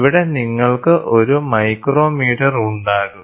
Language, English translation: Malayalam, So, here you will have a micrometre